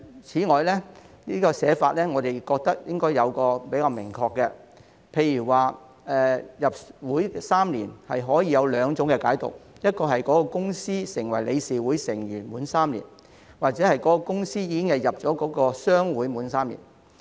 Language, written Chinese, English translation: Cantonese, 此外，我們認為在寫法上應該更加明確，例如"入會3年"可以有兩種解讀：該公司成為理事會成員滿3年，又或是該公司已經加入商會滿3年。, In addition we think that the provisions should be drafted in a more specific manner . For example admission for three years can be interpreted in two ways that the company has become a board member for three years or that the company has joined a trade association for three years